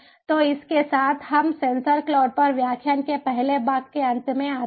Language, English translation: Hindi, so with this we come to an end of the first part of the lecture on sensor cloud